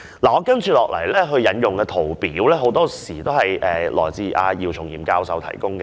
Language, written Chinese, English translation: Cantonese, 我接下來要引用的圖表，很多均由姚松炎教授提供。, Most of the charts and tables I am going to use to illustrate my points are provided by Prof YIU Chung - yim